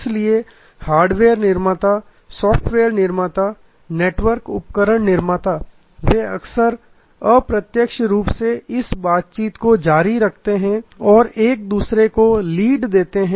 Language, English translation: Hindi, So, hardware manufacturers, software manufacturers, network equipment manufacturers they often indirectly keep this interactions going and give each other leads